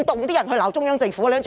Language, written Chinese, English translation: Cantonese, 可以批評中央政府的嗎？, Could we criticize the Central Government?